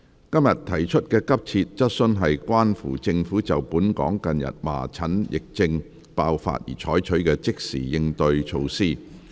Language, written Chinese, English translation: Cantonese, 今天提出的急切質詢均關乎政府就本港近日麻疹疫症爆發而採取的即時應對措施。, The urgent questions asked today are about the Governments measures for tackling the recent outbreak of measles epidemic in Hong Kong